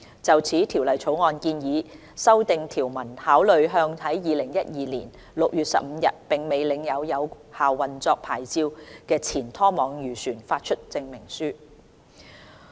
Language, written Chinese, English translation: Cantonese, 就此，《條例草案》建議訂定條文，考慮向在2012年6月15日並未領有有效運作牌照的前拖網漁船發出證明書。, In this connection the Bill proposes amending the provisions to allow the consideration of granting a CER to a former trawler which did not possess a valid operating licence on 15 June 2012